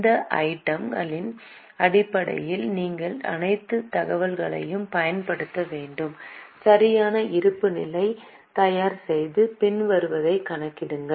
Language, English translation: Tamil, Based on these items you have to use all the information, prepare a proper balance sheet and calculate the following